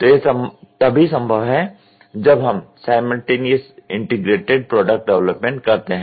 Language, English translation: Hindi, So, that is also possible when we do simultaneous integrated product development